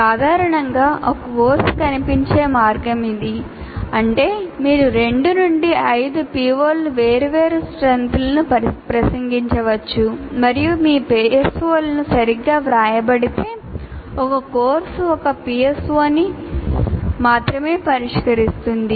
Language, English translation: Telugu, That means you may have anywhere from 2 to 5 POs addressed to varying strengths and possibly if your PSOs are written right, a course will address only one PSO